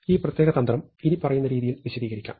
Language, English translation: Malayalam, So, this particular strategy can be illustrated as follows